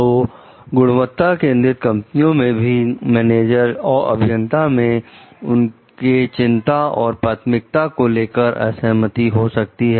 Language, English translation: Hindi, So, there could be a difference in the managers and engineers with their concerns and priorities